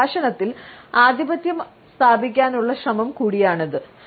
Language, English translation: Malayalam, It is also understood as an attempt to dominate the conversation